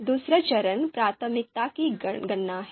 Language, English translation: Hindi, The second step is on priority calculation